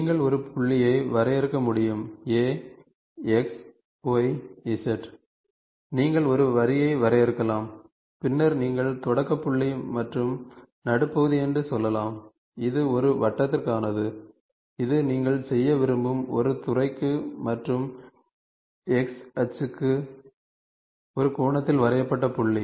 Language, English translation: Tamil, So, point you can define a point A(x,y,z), you can define a line and then you can say start point and mid point, this and this is for a circle, this is for a sector you want to do and point drawn at an angle to X axis So, these are different ways you define a point